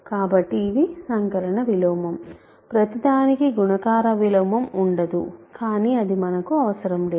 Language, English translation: Telugu, So, that is the additive inverse, not everything will have a multiplicative inverse, but that is not required for us